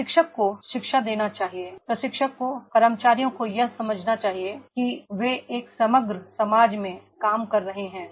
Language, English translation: Hindi, Trainer should educate, trainer should train to the employees to understand that is they are working in an overall society